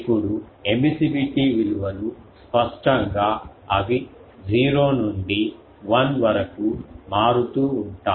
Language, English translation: Telugu, Now the emissivity values obviously, they are varying from 0 to 1